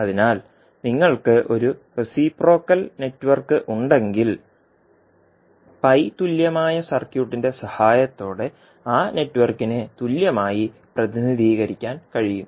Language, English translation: Malayalam, So, if you have a reciprocal network, that network can be represented equivalently with the help of pi equivalent circuit